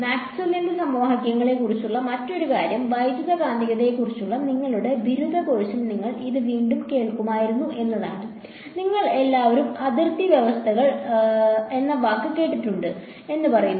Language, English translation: Malayalam, So, the other thing about Maxwell’s equations is that you would have again heard this in your undergraduate course on electromagnetic says that, you all heard the word boundary conditions, boundary conditions right